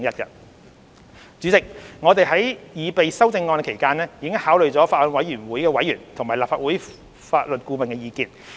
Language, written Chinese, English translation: Cantonese, 代理主席，我們在擬備修正案期間，已考慮法案委員會委員和立法會法律顧問的意見。, Deputy Chairman in proposing the amendments we have considered the views of members of the Bills Committee and the Legal Adviser of the Legislative Council